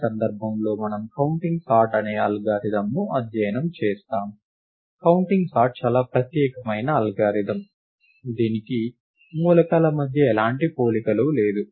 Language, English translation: Telugu, In this case, we study an algorithm called counting sort; counting sort is a very special algorithm; it does not have any comparisons among the elements